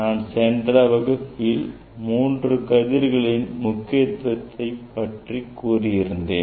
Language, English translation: Tamil, that I earlier I have discussed importance of three rays